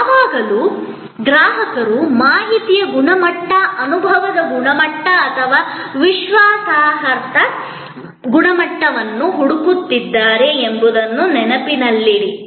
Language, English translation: Kannada, Always, remembering that the consumer is looking either for the information quality, experience quality or credence quality